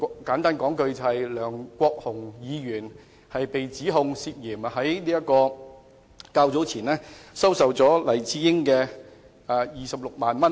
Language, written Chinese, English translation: Cantonese, 簡單而言，就是梁國雄議員被指涉嫌在較早前收受黎智英26萬元。, To put it simply it was alleged that Mr LEUNG Kwok - hung accepted 260,000 from Jimmy LAI earlier